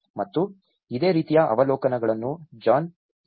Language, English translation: Kannada, And this is the similar observations made from John F